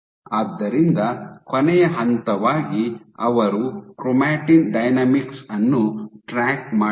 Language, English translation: Kannada, So, as the last step for they did was they tracked chromatin dynamics